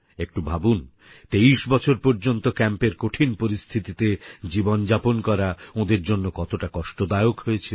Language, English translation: Bengali, Just imagine, how difficult it must have been for them to live 23 long years in trying circumstances in camps